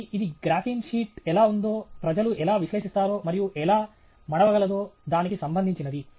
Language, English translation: Telugu, So, this is something that relates to how people analyze how a graphene sheet is, and how it can be folded and so on